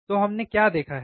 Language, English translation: Hindi, So, what what we have seen